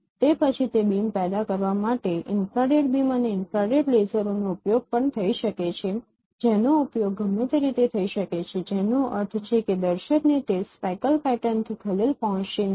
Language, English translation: Gujarati, Then it can generate also infrared beams and infrared lasers are used for generating those beams and which could be used unobtrusively which means that a viewer won't be disturbed by those speckle patterns